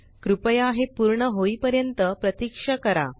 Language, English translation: Marathi, Please wait until it is completed